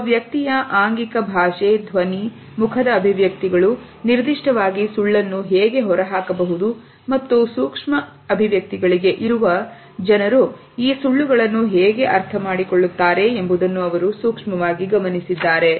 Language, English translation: Kannada, He has also looked closely as how an individual's body language, voice, facial expressions in particular can give away a lie and people who are sensitive to the micro expressions can understand these lies